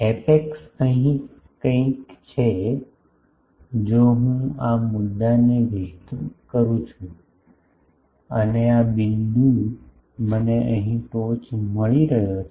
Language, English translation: Gujarati, Apex is something here, if I extend this point and this point I get an apex here